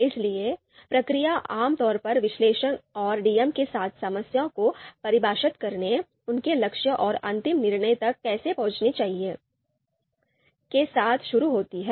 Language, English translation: Hindi, So the process generally starts with the with the analyst and DMs focusing on defining the problem, their goals and how the final decision should be reached